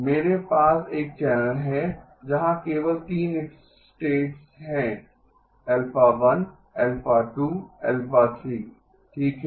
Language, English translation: Hindi, I have a channel where there are only 3 states, alpha 1, alpha 2, alpha 3 okay